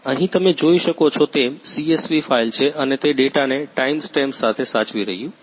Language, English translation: Gujarati, Here is the CSV file as you can see here and it is storing with timestamp